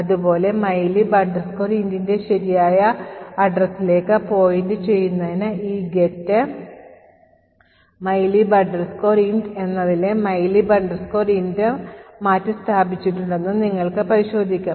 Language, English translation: Malayalam, Similarly, you could also check that the mylib int in this get mylib int is also replaced to point to the correct address of mylib int